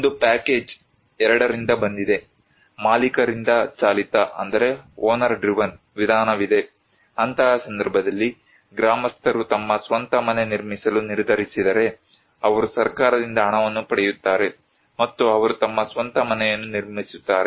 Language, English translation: Kannada, One is from the package 2, there is owner driven approach; in that case, the villagers in which villagers decided to build their own house, they will get the money from the government and they will construct their own house